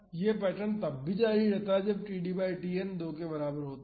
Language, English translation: Hindi, This pattern continues when td by Tn is equal to 2 as well